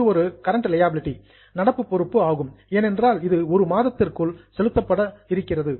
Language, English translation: Tamil, It will be a current liability because it is going to be settled in just one month